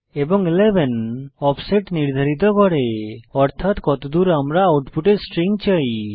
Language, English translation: Bengali, And 11 specify the offset upto where we want the string to be in the output